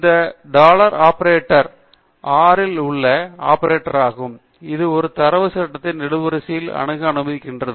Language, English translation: Tamil, This dollar operator is an operator in R which allows you to access the columns of a data frame